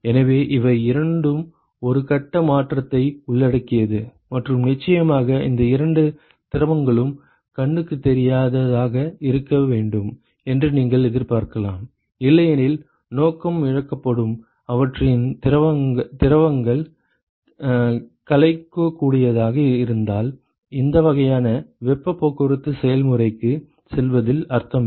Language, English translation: Tamil, So, note that both of these they involve a phase change and of course, you would expect that these two liquids should be invisible otherwise the purpose is lost, if their fluids are miscible then it is no point in going for these kinds of heat transport processes ok